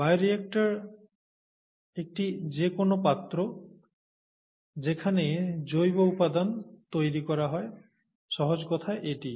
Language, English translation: Bengali, Bioreactor is a vessel, any vessel, in which bioproducts are made, it is as simple as that